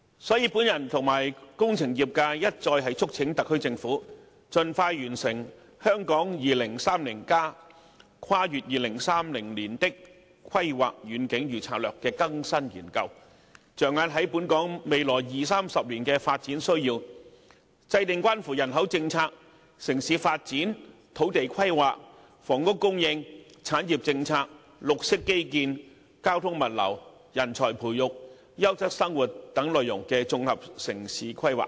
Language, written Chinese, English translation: Cantonese, 所以，本人與工程業界一再促請特區政府盡快完成《香港 2030+： 跨越2030年的規劃遠景與策略》的更新研究，着眼於本港未來二三十年的發展需要，制訂關乎人口政策、城市發展、土地規劃、房屋供應、產業政策、綠色基建、交通物流、人才培育、優質生活等內容的綜合城市規劃。, I and the engineering sector have time and again urged the SAR Government to expeditiously complete the updating exercise for Hong Kong 2030 Towards a Planning Vision and Strategy Transcending 2030 and focus on Hong Kongs development needs in the next 20 to 30 years and accordingly formulate an integrated urban planning strategy covering population policy urban development land and planning housing supply industrial policy green infrastructure transportation and logistics training of talent and quality of living etc